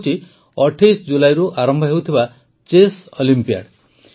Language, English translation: Odia, This is the event of Chess Olympiad beginning from the 28th July